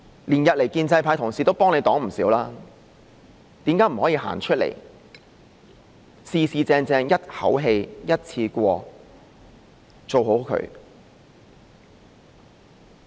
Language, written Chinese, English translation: Cantonese, 連日來，建制派同事都幫她擋了不少，為何她不可以走出來，正正式式一口氣、一次過把事情做好？, Over the past several days Honourable colleagues from the pro - establishment camp have shielded her from a lot of attacks . Why can she not come out and formally get things done altogether in one go?